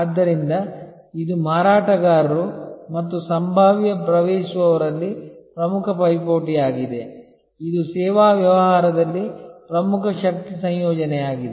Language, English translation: Kannada, So, this is the most important rivalry among sellers and potential entrants, this is a key force combination in service business